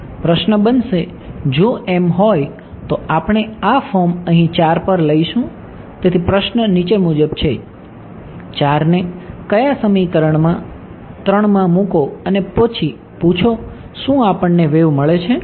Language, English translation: Gujarati, Question will become if so, we will take this form over here 4, so the question is as follows; put 4 in to which equation, into 3 and then ask do we get a wave